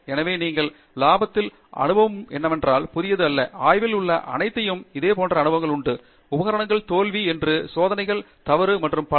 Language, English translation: Tamil, So what you experience in the lab is not new, everybody experiences similar stuff in the lab; I mean equipment fail, experiments go wrong and so on